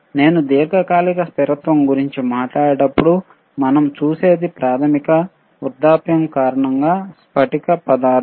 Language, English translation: Telugu, When I talk about long term stability, then what we see is, basically due to aging of crystal material